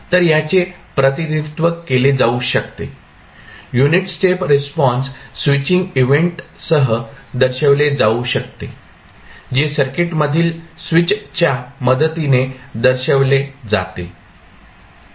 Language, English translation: Marathi, So, this can be represented, the unit step response can be represented with the switching event which is represented with the help of switch in the circuit